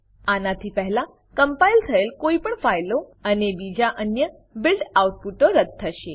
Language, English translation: Gujarati, This will delete any previously compiled files and other build outputs